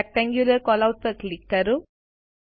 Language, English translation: Gujarati, Lets click on Rectangular Callout